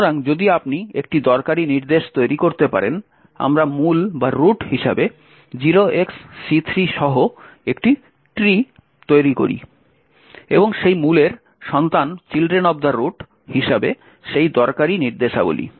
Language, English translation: Bengali, So, if you are able to form a useful instruction, we create a tree with c3 as the root and that useful instructions as children of that root